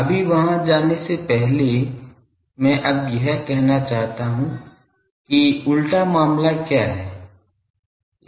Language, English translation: Hindi, Now; before going there; I now want to say that what is the reverse case